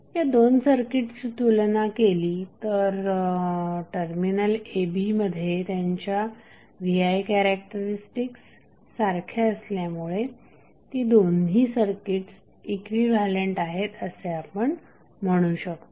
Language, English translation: Marathi, So, if you compare these two we can say that these two circuits are equivalent because their V I characteristics at terminal a and b are same